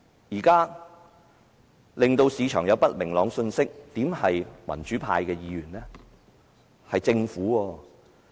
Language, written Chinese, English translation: Cantonese, 現在令市場有不明朗信息的不是民主派議員，而是政府。, At present it is the Government who is sending unclear messages to the market but not pro - democracy Members